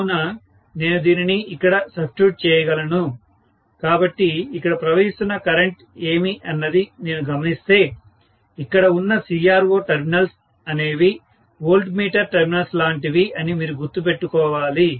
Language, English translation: Telugu, So, I can substitute this here, if I try to look at what is the current that is flowing here, please remember CRO terminals what I have is like voltmeter terminals